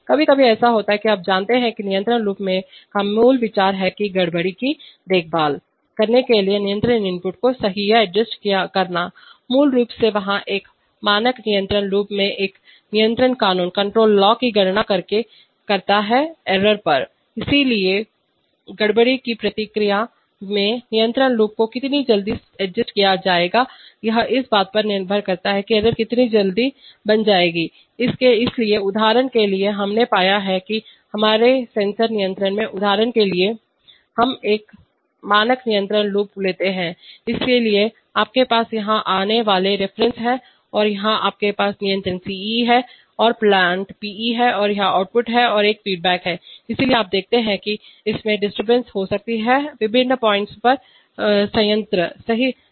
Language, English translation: Hindi, Sometimes it happens that, you know, the basic idea of a control loop is to correct or adjust the control input to take care of the disturbances, basically there, and it and, in a standard control loop does it by computing a control law based on the error, so how quickly the control loop will be adjusted in response to a disturbance depends on how quickly the error will be formed, so for example we have found that in our, in our single sensor control loops for example, In our, let us take the standard control loop, so you have the reference coming here and here you have the controller Ce and the plant Pe and this is the output and there is a feedback, so you see that there may be disturbances acting on the plant at various points, right